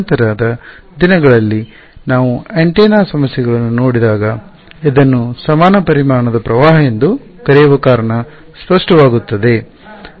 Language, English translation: Kannada, When we look at antenna problems later on in the course the reason why this is called a equivalent volume current will become clear ok